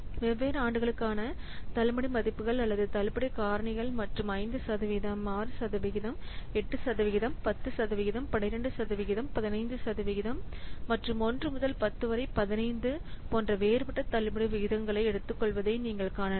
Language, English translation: Tamil, So you can see that the discount values or the discount factors for different years and taking different discount rates like 5%,, 6 percent, 8 percent, 10 percent, 12 percent, 15 percent and different what years like 1 to up to 10, 15, 20, 25, what could be the discount factor with the different discount rates and discount years and the number of years it is shown